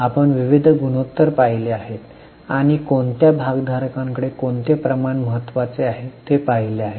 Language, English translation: Marathi, We have seen variety of ratios and to which stakeholders which ratios are important